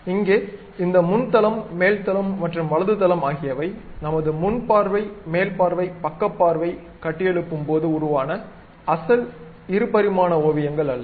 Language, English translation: Tamil, So, this front plane, top plane, and right plane are not our original two dimensional sketches when we have constructed the front view, top view, side view